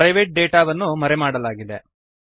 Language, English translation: Kannada, The private data is hidden